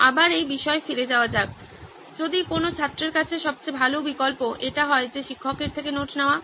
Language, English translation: Bengali, Again going back to this if best option to any student is to go, take the notes from the teacher